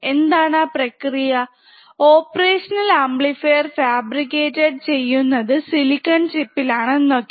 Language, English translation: Malayalam, And what are the process flow, the op amp is fabricated on tiny silicon chip, right